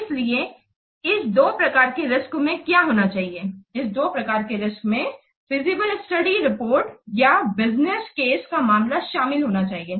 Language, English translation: Hindi, So, these two types of risks must what contain, these two types of risks must be contained in this feasible study report or business case